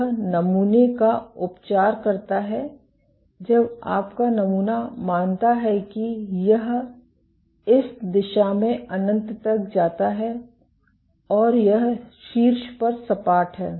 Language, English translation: Hindi, It treats the sample when your sample is assumes it goes to infinity in this direction and it is flat at the top